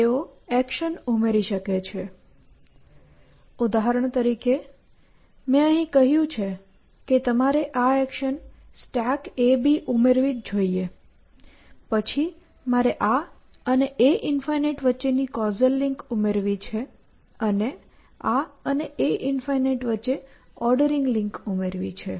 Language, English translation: Gujarati, They may add an action; for example, I said here that you must add this action stack a and b, then I must add a causal link between this and a infinity and an ordering link between this and a infinity